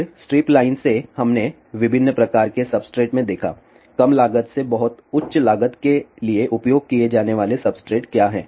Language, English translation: Hindi, Then from strip line we looked into different types of substrates what are the substrates used from low cost to very high cost